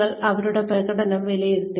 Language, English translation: Malayalam, You have assessed their performance